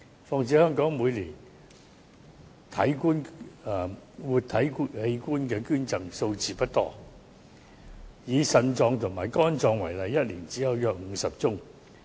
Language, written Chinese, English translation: Cantonese, 再者，香港每年的活體器官捐贈數字不多，以腎臟及肝臟為例，一年只有約50宗。, Moreover the number of Hong Kongs living organ donation is on the low side . Let us take kidney and liver transplants as an example only about 50 cases per year of kidney or liver transplants took place in Hong Kong